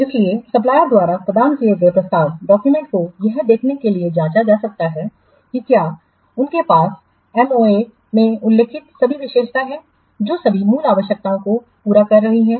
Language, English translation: Hindi, So, the proposal documents provided by the suppliers, they can be scrutinized to see if they contain all the features as mentioned in the MOA which are satisfying all the original requirements